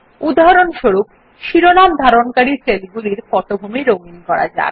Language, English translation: Bengali, For example, let us give a background color to the cells containing the headings